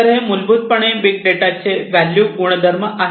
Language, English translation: Marathi, So, this is basically the value attribute of big data